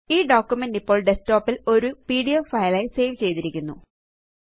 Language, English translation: Malayalam, The document has now been saved as a pdf file on the desktop